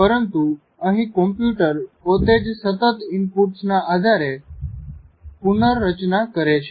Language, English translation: Gujarati, But here the computer itself is continuously reorganizing itself on the basis of input